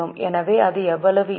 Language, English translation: Tamil, So, how much it will be